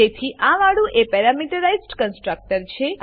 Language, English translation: Gujarati, Hence this one is the prameterized constructor